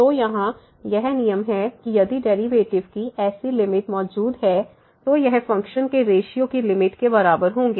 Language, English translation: Hindi, So, this is the rule here that if such limits exists the limit of the derivatives, then we this will be equal to the limit of this ratio of the functions